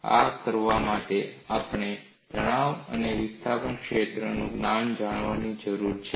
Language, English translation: Gujarati, For us, to do this, we need to know the knowledge of stress and displacement fields